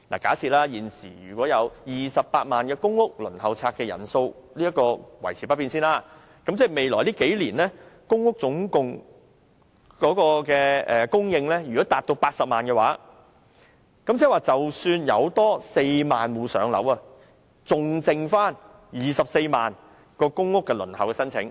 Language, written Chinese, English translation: Cantonese, 假設現時28萬個公屋申請數目維持不變，如果未來數年公屋單位供應達到80萬個，即多讓4萬戶"上樓"，還餘下24萬個公屋輪候申請。, Assuming the number of PRH applicants remains at the present level of 280 000 if the supply of PRH units reaches 800 000 over the next few years allowing an extra 40 000 households to move into public housing there will still be 240 000 applicants on the PRH Waiting List